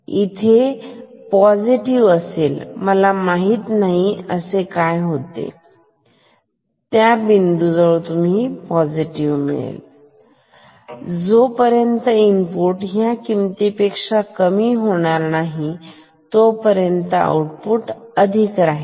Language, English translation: Marathi, So, here it will become positive I do not know what it was before this, but here it will become positive and it will remain positive until and unless input goes below this value which is here